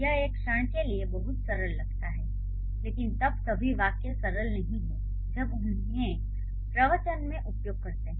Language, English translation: Hindi, Um, but this is, this looks very simple for the moment, but then not all the sentences are this simple when we use them in the discourse